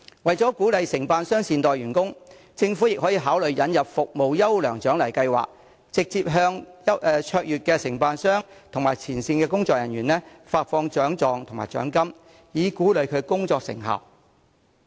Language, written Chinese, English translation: Cantonese, 為鼓勵承辦商善待員工，政府可考慮引入"服務優良獎勵計劃"，直接向表現卓越的承辦商及前線工作人員發放獎狀和獎金，以鼓勵其工作成效。, To encourage contractors to treat their employees well the Government can consider introducing a Meritorious Service Award Scheme to directly award certificates and financial rewards to contractors and frontline staff with outstanding performance so as to recognize the effectiveness of their work